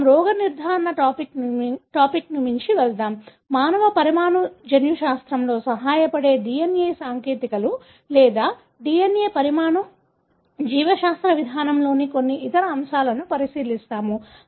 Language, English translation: Telugu, Let’s go beyond the diagnosis, we will look into some other aspects of DNA technologies or DNA molecular biology approach, which help in human molecular genetics